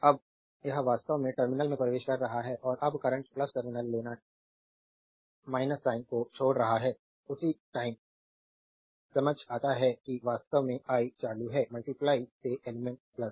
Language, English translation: Hindi, Now it is actually entering the terminal and when the current is leaving the plus terminal you take minus sign, at the same time you can understand that actually the i the current is going into the element from plus